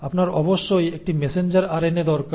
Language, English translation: Bengali, Well you definitely need a messenger RNA